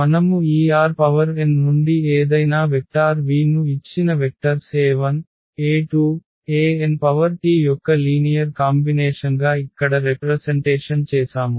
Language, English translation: Telugu, So, we can represent or we have already represented here any vector v from this R n as a linear combination of these given vectors e 1 e 2 e 3 e n